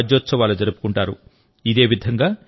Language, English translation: Telugu, Karnataka Rajyotsava will be celebrated